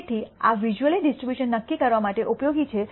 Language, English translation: Gujarati, So, this is useful for determining visually the distribution from which the data have been drawn